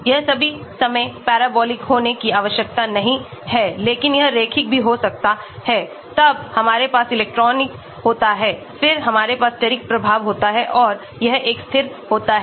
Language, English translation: Hindi, It need not be all the time parabolic, but it can be linear also then we have the electronic, then we have the steric effect and this is a constant